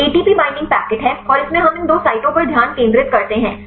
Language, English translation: Hindi, So, is ATP binding packet and this allows to the site here we focus on these two sites